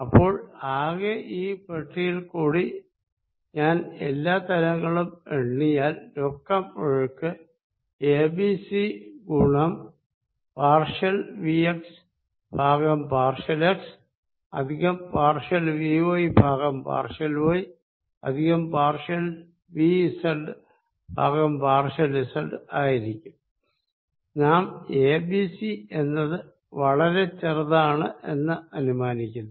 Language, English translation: Malayalam, So, over all through this box if I count all the surfaces in net flow is a b c is common partial vx by partial x plus partial vy by partial y plus partial vz the partial z we of course, assume that a b c is small